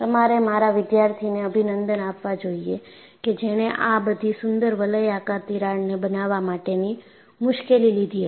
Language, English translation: Gujarati, You should congratulate my student, who had taken the trouble of making all these beautiful radial cracks